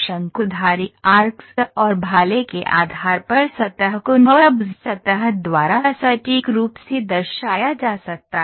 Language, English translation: Hindi, Surface based on conics arcs and spears can be precisely represented by NURBS